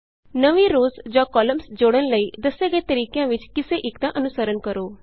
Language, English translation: Punjabi, Follow one of the methods discussed, to add new rows or columns